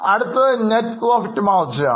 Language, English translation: Malayalam, Now the next one is net profit margin